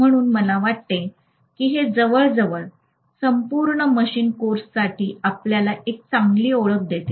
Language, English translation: Marathi, So I think it almost gives you a very good introduction to entire machines course